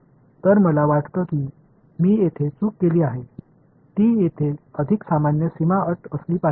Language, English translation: Marathi, So, I think I made a mistake over here it should be plus right normal boundary conditions over here